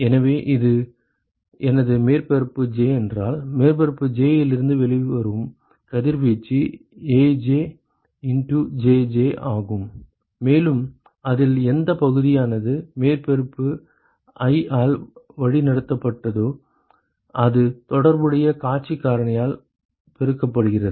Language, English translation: Tamil, So, if this is my surface j then the radiation that comes out of surface j is AjJj and what fraction of that is lead by surface i that multiplied by the corresponding view factor ok